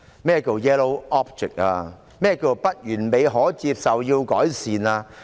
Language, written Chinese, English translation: Cantonese, 何謂"不完美、可接受、要改善"？, What is meant by being imperfect acceptable and in need of improvement?